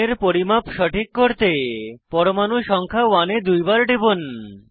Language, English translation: Bengali, To fix the angle measurement, double click on atom number 1